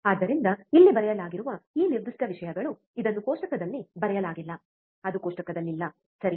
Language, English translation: Kannada, So, this is this particular things here which is written, it this is not written in the table, it is not in the table, right